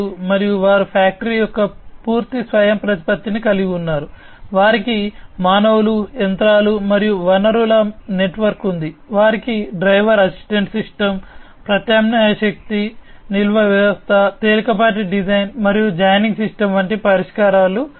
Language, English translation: Telugu, And they also have the full autonomy of factory, they have a network of humans, machines and resources, they have solutions like driver assistance system, alternative energy storage system, lightweight design, and joining system